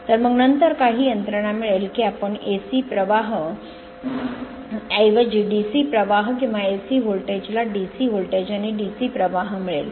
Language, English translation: Marathi, So, then by some mechanism then we can get that your what you call DC current, instead of your the AC current, or your AC voltage we will get DC voltage and DC current